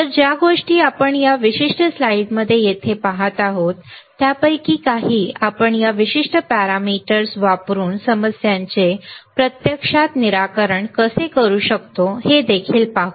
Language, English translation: Marathi, So, the things that we are looking here in this particular slide we will also see some of those how we can actually solve the problems using this particular of for this particular parameters ok